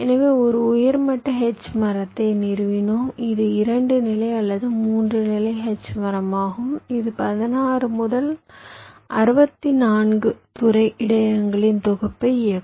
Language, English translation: Tamil, the drive its a two level or three level h tree that will drive a set of sixteen to sixty four sector buffers